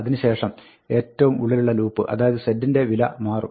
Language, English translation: Malayalam, Then, the value of z will change, the innermost loop changes next